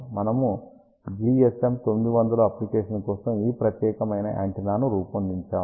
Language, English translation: Telugu, We had designed this particular antenna for GSM 900 application